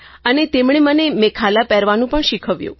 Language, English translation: Gujarati, And they taught me wearing the 'Mekhla' attire